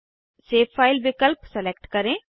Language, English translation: Hindi, Select Save file option